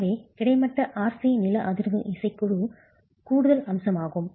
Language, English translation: Tamil, So, the horizontal RC seismic band is an additional feature